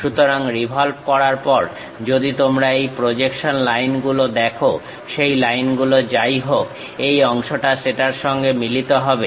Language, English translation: Bengali, So, if you are seeing this projection lines after revolving whatever that line, this part coincides with that